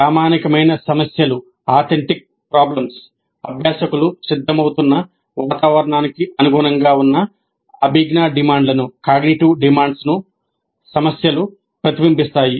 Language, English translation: Telugu, The problems should reflect the cognitive demands that are consistent with the environment for which the learners are being prepared